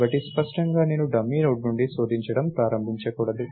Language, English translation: Telugu, So, clearly I should not start searching from the dummy Node itself